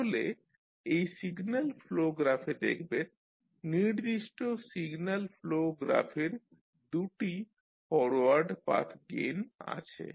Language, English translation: Bengali, So, if you see this particular signal flow graph there are 2 forward Path gains for the particular signal flow graph